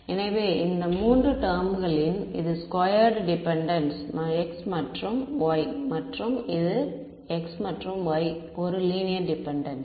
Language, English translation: Tamil, So, from these 3 terms this is squared dependence on x and y and this is a linear dependence on x and y right